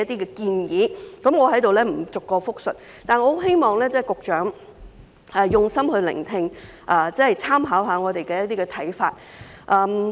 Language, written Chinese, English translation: Cantonese, 我在這裏不會逐項複述，但我希望局長用心聆聽，參考我們的看法。, I will not repeat them one by one here but I hope that the Secretary will carefully listen and make reference to our views . The problems faced by carers are very great indeed